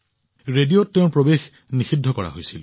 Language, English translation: Assamese, His entry on the radio was done away with